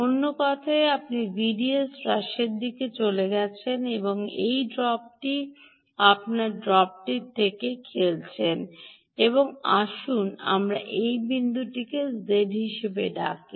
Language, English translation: Bengali, in other words, you have gone in the direction of reduction in v d s, this drop, you are playing with this drop, and let us call this point as z